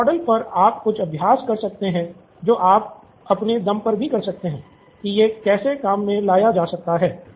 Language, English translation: Hindi, So, you can do some exercises that you can do on your own to see how to figure this out